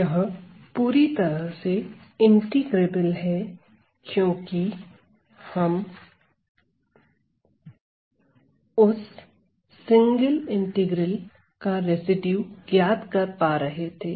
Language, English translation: Hindi, So, this is fully integrable because we were able to find the residue to that single integral